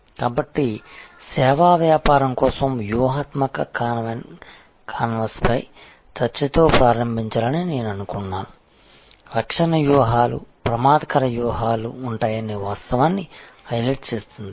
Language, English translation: Telugu, So, I thought I will start with a discussion on strategy canvas for a services business, highlighting the fact that there will be defensive strategies, offensive strategies